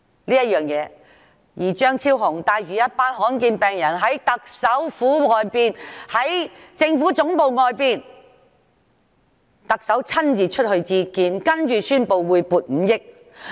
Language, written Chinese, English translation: Cantonese, 張議員帶領一群罕見病患者在政府總部外請願，特首親自出來接見，接着宣布撥出5億元。, Dr CHEUNG led a group of patients with rare diseases to petition outside the Government Secretariat . The Chief Executive personally came out to meet them and then announced that 500 million would be allocated for it